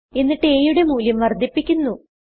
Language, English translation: Malayalam, After that the value of a is incremented